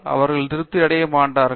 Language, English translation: Tamil, They will not be satisfied